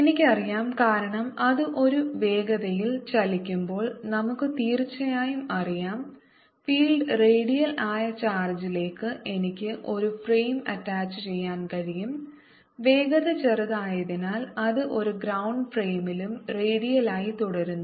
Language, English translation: Malayalam, i cartinly no, because when it moving a velocity we have certainly know that i can attach a frame to the charge in which the field is radial and since velocity small, it remains redial in a ground frame